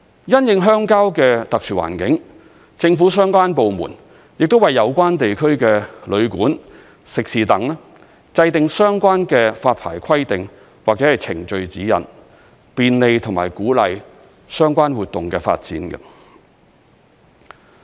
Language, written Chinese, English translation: Cantonese, 因應鄉郊的特殊環境，政府相關部門亦為有關地區的旅館、食肆等制訂相關的發牌規定或程序指引，便利和鼓勵相關活動的發展。, In view of the exceptional environment of rural areas the relevant government departments have formulated licensing requirements or procedural guidelines for guesthouses and catering businesses in the relevant areas to facilitate and drive the development of related activities